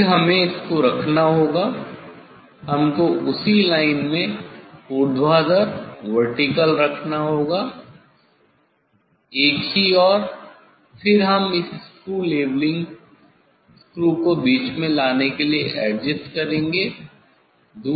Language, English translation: Hindi, then we have to put this one we have to put this one in the same line in vertical vertically, same line will put vertically and then we will adjust this screw leveling screw to bring it at middle